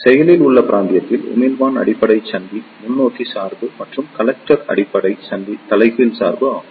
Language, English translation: Tamil, In Active Region, emitter base junction is forward bias and the collector base junction is reverse bias